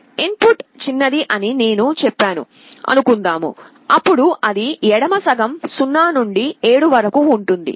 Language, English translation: Telugu, Suppose I say that the input is smaller; then it will be on the left half 0 to 7